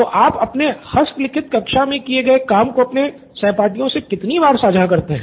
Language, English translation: Hindi, So how frequently do you share your handwritten class work with your classmates